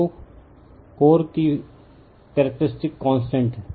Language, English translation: Hindi, So, K e is the characteristic constant of the core right